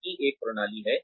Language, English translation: Hindi, It has a system in place